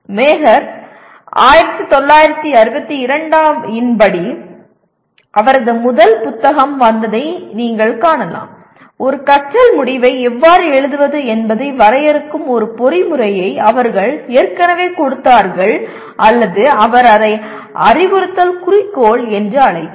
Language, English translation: Tamil, As you can see as per Mager 1962 where his first book came; they already gave a mechanism of defining how to write a learning outcome or he called it instructional objective